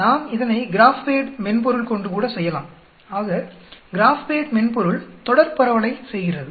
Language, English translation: Tamil, We can do it by the GraphPad software also, so graph pad software does a continuous distribution